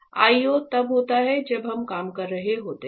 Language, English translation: Hindi, So, this IO is when we are operating need come